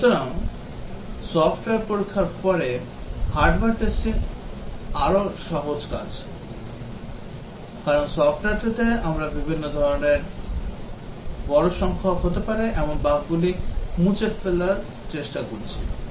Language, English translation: Bengali, Therefore hardware testing is much more simpler task then software testing, because in software we are trying to eliminate bugs that can be of various types, large number of times